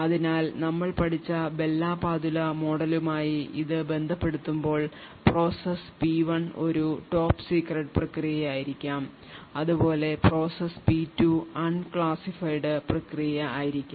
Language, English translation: Malayalam, So, relating this to the Bell la Padula model that we have studied process P1 may be a top secret process while process P2 may be an unclassified process